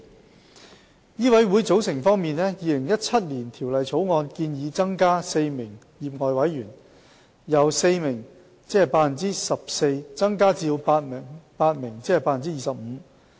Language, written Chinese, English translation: Cantonese, 在醫委會的組成方面，《2017年條例草案》建議新增4名業外委員，使業外委員總數由4名增至8名。, The 2017 Bill proposes that four lay members be added to MCHK to enlarge its lay membership from four persons or 14 % to eight persons or 25 %